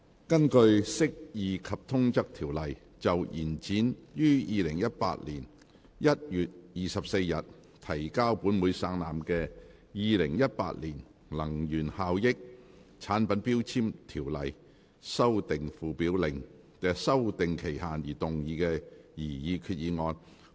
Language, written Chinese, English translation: Cantonese, 根據《釋義及通則條例》就延展於2018年1月24日提交本會省覽的《2018年能源效益條例令》的修訂期限而動議的擬議決議案。, Proposed resolution under the Interpretation and General Clauses Ordinance to extend the period for amending the Energy Efficiency Ordinance Order 2018 which was laid on the Table of this Council on 24 January 2018